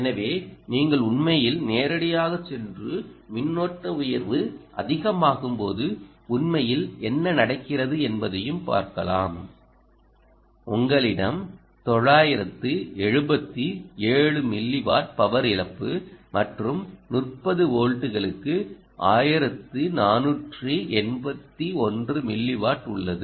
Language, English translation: Tamil, so, and you can actually go directly and also look at what actually happens as the higher currents increases, you have nine hundred and seventy seven ah milliwatts of power loss and fourteen, eighty one ah milliwatts for thirty volts